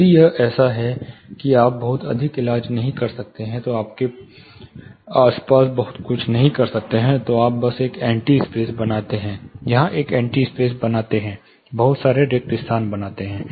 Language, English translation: Hindi, If it is such that you cannot treat too much, or you cannot do much around it, then you create an anti space here, an anti space here, create lot of voids